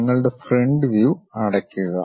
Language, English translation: Malayalam, Enclose your front view